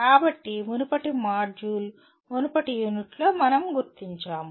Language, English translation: Telugu, So that is what we noted in the previous module, previous unit in fact